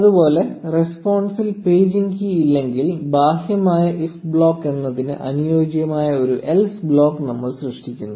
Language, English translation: Malayalam, Similarly, if there is no paging key in response, we create an else block corresponding to the outer if block